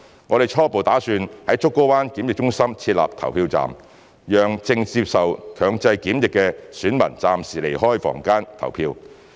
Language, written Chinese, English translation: Cantonese, 我們初步打算在竹篙灣檢疫中心設立投票站，讓正接受強制檢疫的選民暫時離開房間投票。, Our preliminary plan is to set up a polling station at the Pennys Bay Quarantine Centre to allow electors who are undergoing compulsory quarantine to temporarily leave their rooms to vote